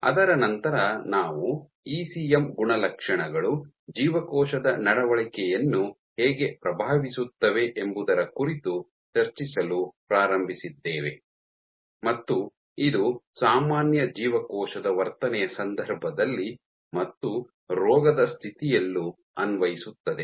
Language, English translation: Kannada, After that we started discussing about how ECM properties influence cell behaviour and this was both in the context of normal cell behaviour and in case of disease